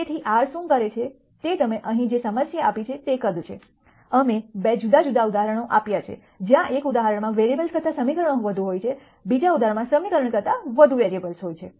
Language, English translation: Gujarati, So, what R does is whatever size of the problem you give here we have given 2 di erent examples, where one example has more equations than variables the second example has more variables than equation